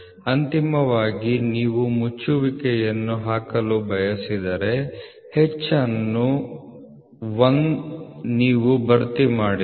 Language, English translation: Kannada, So, finally if you want to put the closure so the H you are not filled up 1